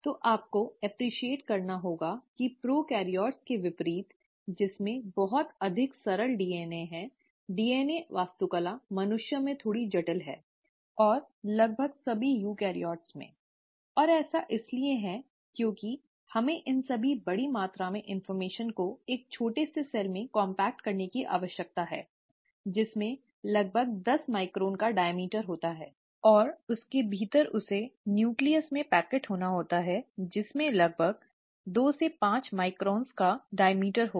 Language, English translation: Hindi, So, you have to appreciate that, unlike prokaryotes, which have much simpler DNA, the DNA architecture is a little more complex in humans, and almost all the eukaryotes and that is because we need to compact all these large amount of information into a tiny cell which has a diameter of about ten microns, and within that, it has to packet into a nucleus which will have a diameter of about two to five microns